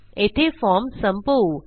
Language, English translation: Marathi, Lets end our form here